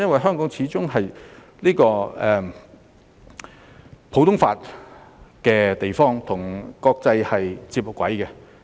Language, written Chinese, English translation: Cantonese, 香港始終是普通法司法管轄區，與國際接軌。, After all Hong Kong is a common law jurisdiction which meets international standards